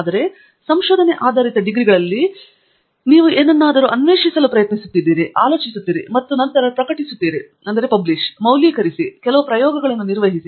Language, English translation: Kannada, Whereas, in research based degrees you are trying to really discover something, think and then postulate, validate, perform certain experiments and so